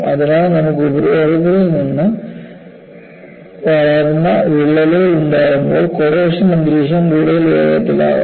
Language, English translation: Malayalam, So, when you have crack that has grown from the surface, corrosive environment will precipitated further